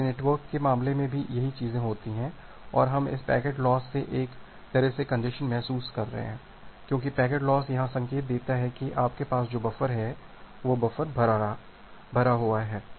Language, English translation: Hindi, So, the same things happen in case of network and we are sensing a congestion from this packet loss because packet loss gives an indication that the buffer that you have, that buffer is getting exceeded